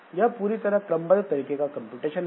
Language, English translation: Hindi, So, that is a pure sequential type of computation